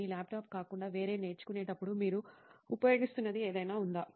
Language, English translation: Telugu, Anything else that you are using while learning other than your laptop